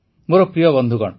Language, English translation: Odia, My dear friends,